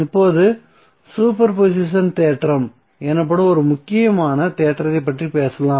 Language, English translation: Tamil, Now let us talk about one important theorem called Super positon theorem